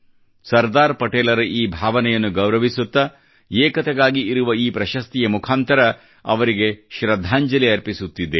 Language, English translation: Kannada, It is our way of paying homage to Sardar Patel's aspirations through this award for National Integration